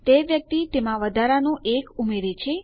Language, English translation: Gujarati, Thats the person adding the extra 1 in there